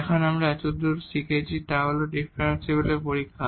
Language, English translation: Bengali, Now, the testing of the differentiability what we have learned so far